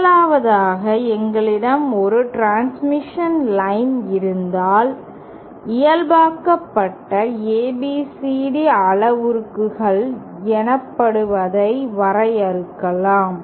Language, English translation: Tamil, 1st of all if we have a transmission line, then we can define what is known as normalised ABCD parameters